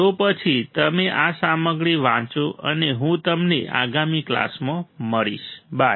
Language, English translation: Gujarati, So, then you read this stuff and I will see you in the next class, bye